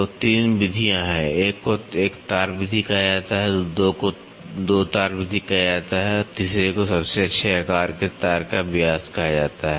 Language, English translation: Hindi, So, there are three methods one is called as one wire method, two is called as two wire method and the third one is called as the diameter of the best size wire